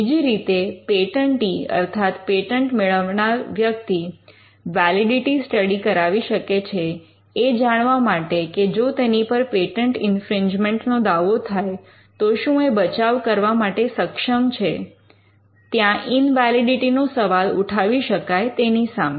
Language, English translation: Gujarati, Now the second instance could be where the patentee could ask for a validity study to ensure that he has a good chance of surviving on patent infringement suit; where invalidity has been questioned